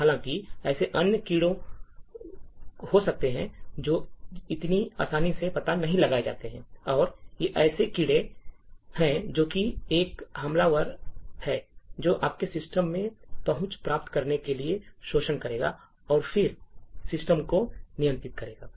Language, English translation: Hindi, However, there may be other bugs which are not detected so easily, and these are the bugs which are the flaws that an attacker would actually use to gain access into your system and then control the system